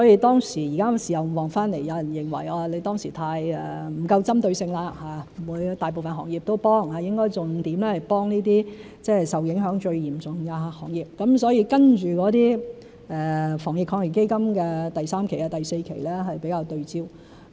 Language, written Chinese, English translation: Cantonese, 現時事後回看，有人認為當時不夠針對性，不應大部分行業都幫忙，應該重點支援一些受影響最嚴重的行業，所以接着的防疫抗疫基金第三期、第四期是比較對焦。, With hindsight some people reckon that it was not well - directed enough . Instead of helping most industries support should have been focused on the most seriously affected . Therefore the third and fourth rounds of the Anti - epidemic Fund were more targeted